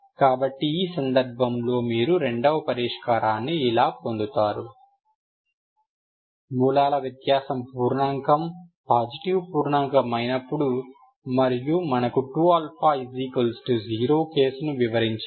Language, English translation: Telugu, So this is how you get the second solution in the case of when the root difference is integer, positive integer and in that we avoided the case 2 alpha equal to zero